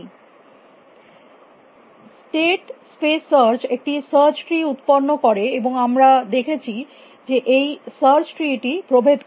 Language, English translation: Bengali, And the state space search generates a search tree, and we saw that this search tree is characterized by